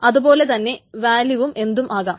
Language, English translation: Malayalam, And the value can be anything